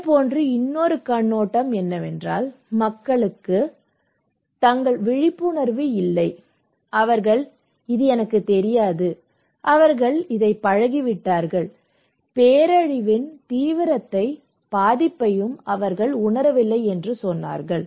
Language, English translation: Tamil, Another perspective is similar line that is people saying that they have lack of awareness, maybe they do not know, they used to it, they do not realise the seriousness, severity and vulnerability of this disaster